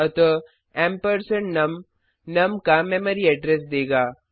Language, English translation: Hindi, So ampersand num will give the memory address of num